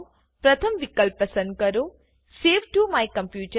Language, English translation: Gujarati, Choose the first option Save to my computer